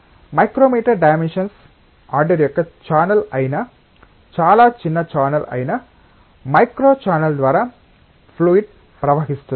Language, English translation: Telugu, The liquid can flow through a micro channel which is a very small channel, a channel of the order of micrometer dimensions